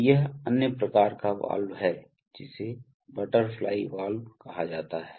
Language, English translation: Hindi, So this is another kind of valve which is called a butterfly valve